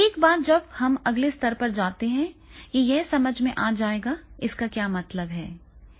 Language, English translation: Hindi, Once we go to the next level that it will be the understanding, what it means